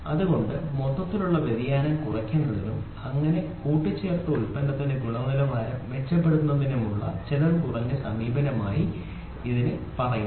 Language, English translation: Malayalam, So, that is why it is said as cost effective approach for reducing the overall variation and thus improving the quality of an assembled product